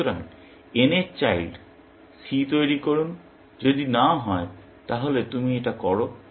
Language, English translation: Bengali, So, generate children C of n, if none; then you do this